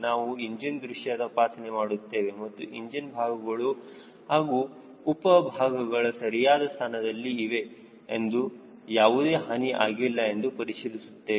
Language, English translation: Kannada, we will do a visual inspection of the engine and check whether engine parts, engine components they are all in place and there is no damage